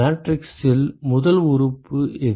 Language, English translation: Tamil, What is the first element in the matrix